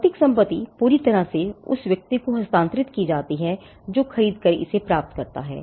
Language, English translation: Hindi, The physical property is completely transferred to the to the person who acquires it at the point of sale